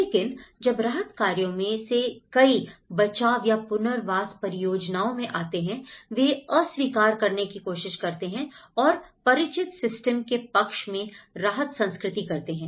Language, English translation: Hindi, But then the many of the relief operations, when they come into the rescue or the rehabilitation projects, they try to reject and in favour of the systems familiar to an exercised by the relief culture